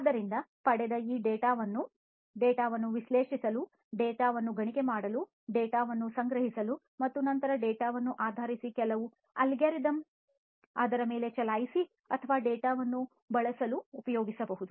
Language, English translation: Kannada, So, this data that is obtained can be used for analyzing it, analyzing the data, mining the data, storing the data and then based on certain algorithms that are run on it on the data or using the data